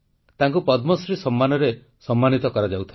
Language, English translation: Odia, She was being decorated with the Padma Shri award ceremony